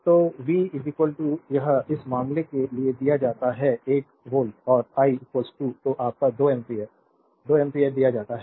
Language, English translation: Hindi, So, V is equal to it is given for this case 1 volt and I is equal to is given your 2 ampere 2 ampere